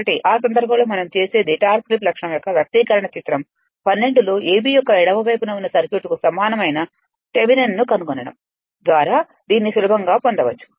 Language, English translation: Telugu, So, in this case what we do, the expression for the torque slip characteristic is easily you can obtain by finding Thevenin equivalent of the circuit to the left of the a b in figure 12